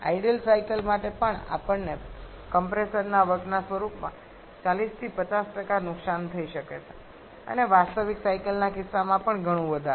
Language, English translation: Gujarati, Even for ideal cycles we can have 40 to 50% loss in form of compressor work and even much more in case of a real cycle